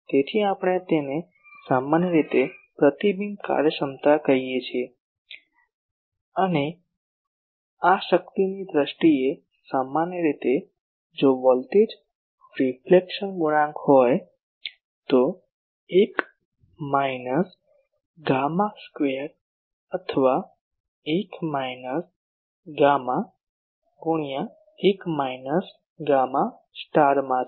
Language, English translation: Gujarati, So, this we generally call rho r the reflection efficiency and this in power terms generally if voltage reflection coefficient is gamma then 1 minus gamma square or 1 minus gamma into 1 minus gamma star whatever, so that is